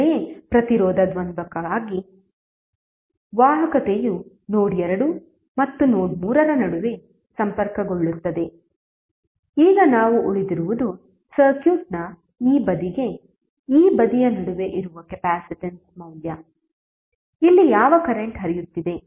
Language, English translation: Kannada, Similarly for resistance dual that is conductance will also be connected between node 2 and node 3, now next what we have left with is the capacitance value that is between this side to this side of the circuit, which current is flowing here